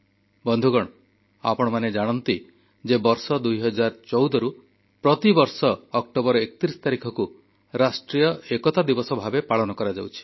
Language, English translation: Odia, Friends, as you know that 31st October every year since 2014 has been celebrated as 'National Unity Day'